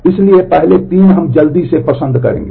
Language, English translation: Hindi, So, the first 3 we will quickly out like